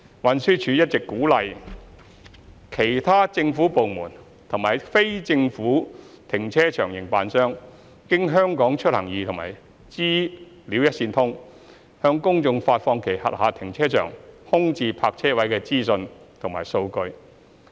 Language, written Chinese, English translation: Cantonese, 運輸署一直鼓勵其他政府部門及非政府停車場營辦商經"香港出行易"和"資料一線通"，向公眾發放其轄下停車場空置泊車位的資訊和數據。, TD has been encouraging other government departments and operators of non - government car park operators to provide the public with real - time information and data on vacant parking spaces of their car parks via TDs HKeMobility and the Governments PSI Portal datagovhk